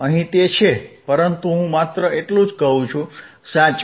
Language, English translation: Gujarati, hHere it is, but I am just saying, right